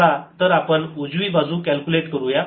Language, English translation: Marathi, let's calculate the right hand side